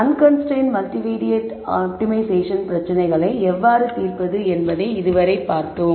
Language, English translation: Tamil, Till now we saw how to solve unconstrained multivariate optimization problems